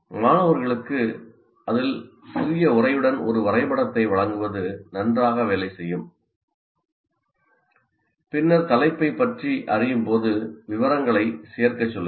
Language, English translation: Tamil, And it works well to give students a diagram with a little text on it and then ask them to add details as they learn about the topic